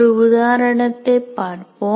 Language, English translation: Tamil, Now let us look at an example